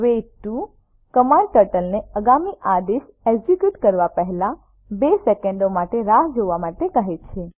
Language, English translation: Gujarati, Wait 2 command makes Turtle to wait for 2 seconds before executing next command